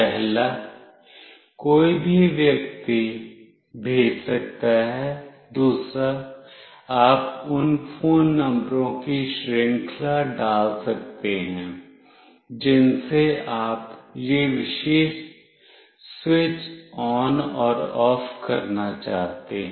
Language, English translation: Hindi, One anybody can send, another you can put series of phone numbers from whom you want this particular switch ON and OFF to happen